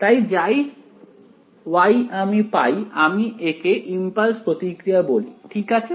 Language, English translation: Bengali, So, as a result whatever Y I have got I call it the impulse response ok